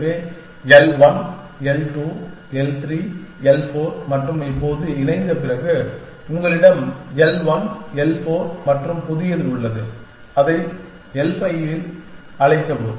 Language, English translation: Tamil, So, l 1 l 2 l 3 l 4 and now after merging, you have l 1 l 4 and a new one, that is call it l 5